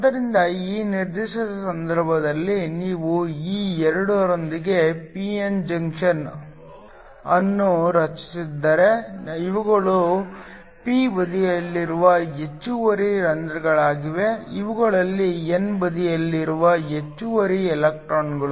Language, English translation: Kannada, So in this particular case, if you form a p n junction with these 2, so these are the excess holes that are there in the p side, these are the excess electrons on the n side